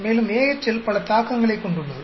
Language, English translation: Tamil, And AHL has many implications